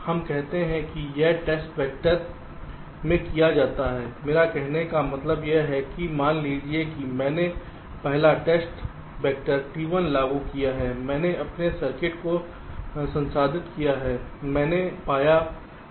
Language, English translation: Hindi, what i mean to say is that suppose i have a applied the first test vector, t one, i have processed my circuit, i have find out the faults detected